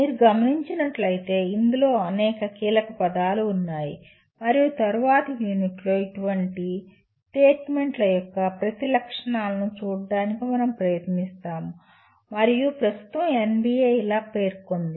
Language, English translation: Telugu, As you can see there are several keywords in this and we will be trying to look at each one of the features of such statements in the later units and that is how NBA at present stated